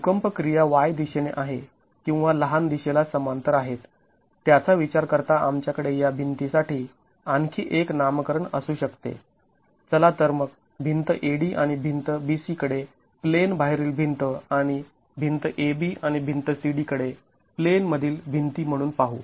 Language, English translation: Marathi, Considering that the earthquake action is in the wide direction or parallel to the shorter direction, let's then look at wall AD and wall B C as the out of plane walls and wall A B and wall C D as the in plane walls